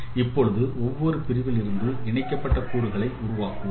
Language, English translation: Tamil, Now we are forming the connected components from each segments